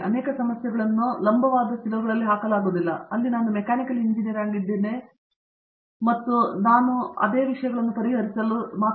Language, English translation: Kannada, Many of the problems cannot be put in vertical silos, where I am a mechanical engineer and all I learnt in UG mechanical engineering is enough to solve this problem